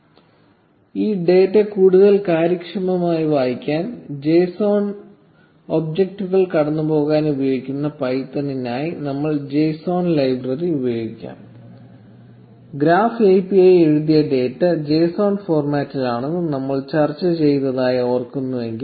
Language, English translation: Malayalam, Now to be able to read this data more efficiently, we will make use of the JSON library for python, which is used to pass JSON objects, if we remember we discuss that the graph API written data in JSON format